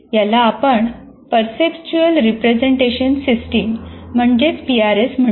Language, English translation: Marathi, This is what we call perceptual representation system